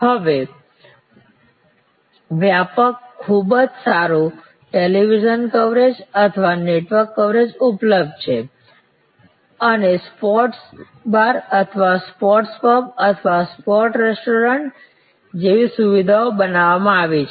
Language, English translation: Gujarati, Now, extensive very good television coverage or on the net coverage is available and facilities like sports bar or sports pubs or sport restaurants have been created